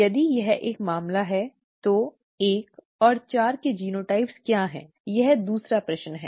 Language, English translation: Hindi, If that is a case, what are the genotypes of 1 and 4; that is the second question